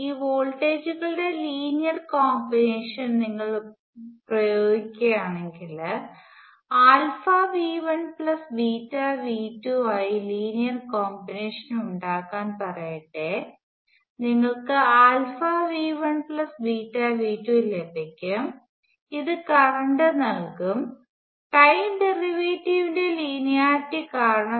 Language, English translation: Malayalam, Then if you apply linear combination of these voltages, so let say you make linear combination of these as alpha V 1 plus beta V 2, you will get alpha V 1 plus beta V 2, this is the current which because of the linearity of the time derivative